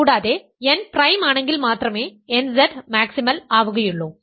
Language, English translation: Malayalam, So, nZ is maximal if and only if n is prime